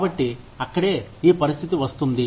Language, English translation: Telugu, So, that is where, this situation comes in